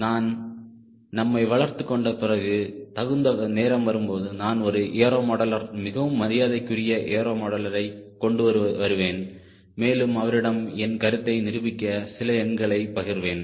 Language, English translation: Tamil, after we build up our self, as appropriate time, i will bring a aero modeler, what is respectful aero modeler and share some some thoughts with him to prove my ah point